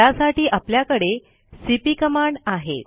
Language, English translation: Marathi, For this we have the cp command